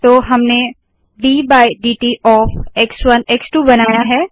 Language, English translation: Hindi, So we have created d by dt of x1 x2